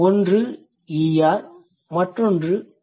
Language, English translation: Tamil, One is ER, the other one is S